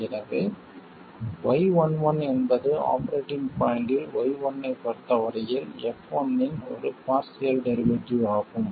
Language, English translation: Tamil, So, Y11 clearly is partial derivative of F1 with respect to V1 at the operating point